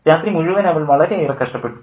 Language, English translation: Malayalam, She suffered all night, master